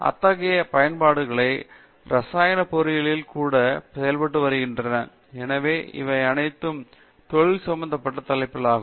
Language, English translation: Tamil, Such applications are being done even in chemical engineering and so all of these are industry relevant topics